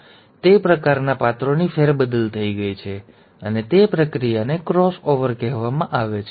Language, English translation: Gujarati, So that kind of a shuffling of characters have happened, and that process is called as the cross over